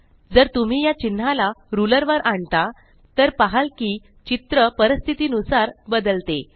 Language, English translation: Marathi, If you move these marks on the ruler, you will notice that the figure changes accordingly